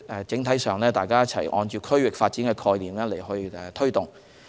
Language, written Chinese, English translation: Cantonese, 整體上，大家是按區域發展的概念去推動。, On the whole we are pushing forward under the regional development concept